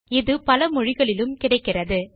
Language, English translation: Tamil, It is available in many languages